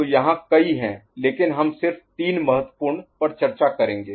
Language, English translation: Hindi, So, there are quite of few, but we just take up three important ones